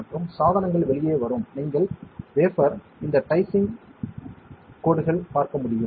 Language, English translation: Tamil, And the devices will come out you can see this dice dicing lines on the wafer